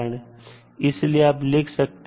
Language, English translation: Hindi, So what you can write